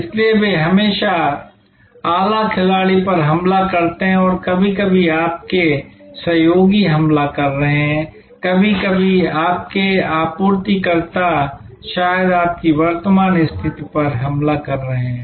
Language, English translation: Hindi, So, they are always niche players attacking, sometimes your collaborators are attacking, sometimes your suppliers maybe attacking your current position